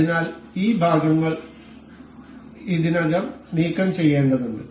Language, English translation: Malayalam, So, we have to remove these already these parts